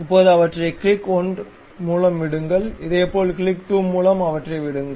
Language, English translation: Tamil, Now, leave them by click 1, similarly leave them by click 2